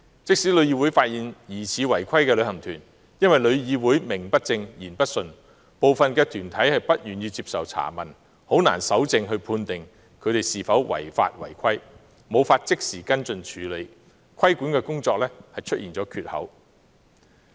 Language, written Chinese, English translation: Cantonese, 即使旅議會發現疑似違規旅行團，但也因旅議會名不正、言不順，部分團體不願意接受查問，以致難以搜證判定那些旅行團有否違法違規，更無法即時作跟進處理，致令規管工作出現缺口。, Even if TIC suspects that certain travel agents are non - compliant given that TIC does not have a statutory status some travel groups are unwilling to answer the enquiries of TIC making it difficult for TIC to obtain evidence to prove whether the travel agents have violated the law or regulation not to mention taking immediate follow - up actions against them . That is a regulatory gap